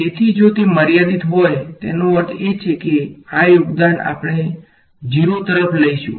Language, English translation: Gujarati, So, if it is finite; that means, it is this contribution we will tend to 0 right